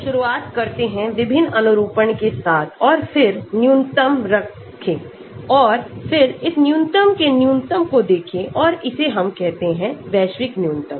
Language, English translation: Hindi, So, by starting with different conformations and then keep minimizing and then look at the minimum of this minimum and that we call it the global minimum